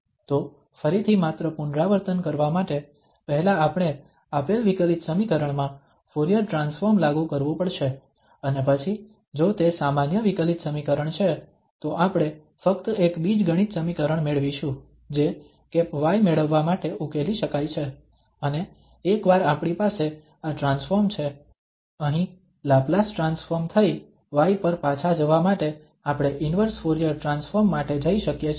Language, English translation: Gujarati, So again just to repeat, first we have to apply the Fourier transform to the given differential equation and then if it is an ordinary differential equation we will get just an algebraic equation which can be solved to get y hat, and once we have this transformed, the Laplace transformed here we can go for the inverse transform to get back to y